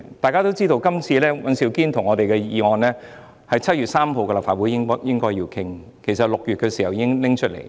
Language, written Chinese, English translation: Cantonese, 大家都知道，尹兆堅議員及我們的議案應該早在7月3日的立法會會議便進行討論，因為6月已經提出。, As we all know the motions proposed by Mr Andrew WAN and other Members including me should be discussed at the Legislative Council meeting held as early as 3 July given that such motions were put forward in June